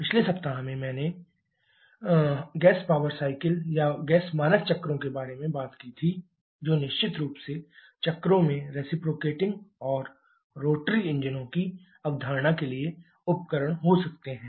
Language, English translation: Hindi, In the previous week we talked about the gas power cycles or gas standard cycles, which of course cycles can be device for conceptualize both for reciprocating and rotary engines